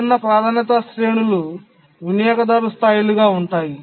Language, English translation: Telugu, The different priority ranges are the user levels